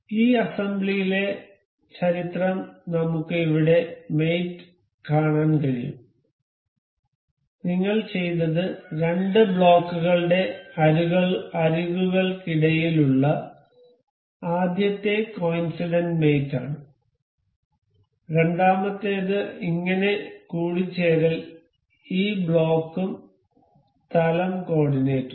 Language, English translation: Malayalam, The mate history in this assembly we can see here mates, what we have done is this the first coincidental mate that was between the edge of the two blocks and the second one thus mating of the origin of this block and the plane coordinate